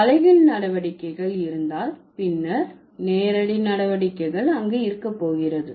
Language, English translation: Tamil, If the inverse operations are there, then the direct operations are also going to be there